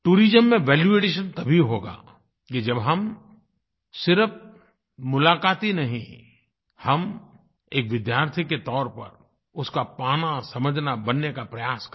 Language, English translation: Hindi, There will be a value addition in tourism only when we travel not only as a visitor but also like a student and make efforts to assimilate, understand & adapt